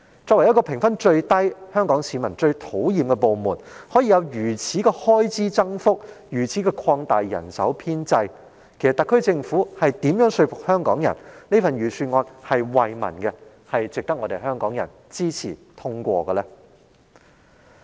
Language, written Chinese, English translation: Cantonese, 警隊作為評分最低及香港市民最討厭的部門，竟可獲得如此的預算開支增幅，如此擴大其人手編制，試問特區政府如何能說服香港人，這份預算案是惠民的，並值得香港人支持通過？, As the government department which has the lowest popularity rating and is detested the most by the people of Hong Kong how can the Police Force enjoy such a significant increase in both its estimated expenditure and establishment? . How can the SAR Government convince Hong Kong people that the Budget seeks to benefit people and is worth the support and endorsement of Hong Kong people?